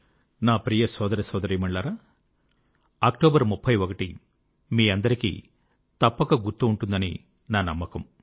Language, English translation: Telugu, My dear brothers and sisters, I am sure all of you remember the significance of the 31st of October